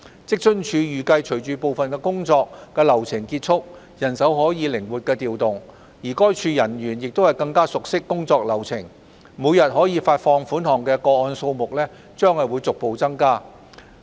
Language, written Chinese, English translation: Cantonese, 職津處預計隨着部分工作流程結束，人手可加以靈活調動，而該處人員也更熟悉工作流程，每天可發放款項的個案數目將逐步增加。, It is expected that with the completion of certain parts of the workflow which would enable more flexible deployment of manpower and with WFAOs staff becoming more familiar with the workflow the number of daily disbursements made will rise gradually